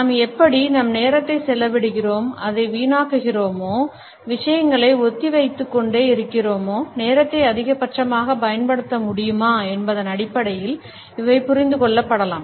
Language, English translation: Tamil, And these can be understood in terms of how do we spend our time, do we waste it, do we keep on postponing things, are we able to utilize the time to its maximum